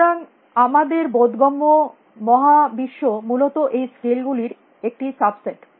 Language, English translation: Bengali, So, our perceptible universe is a small subset of the scales essentially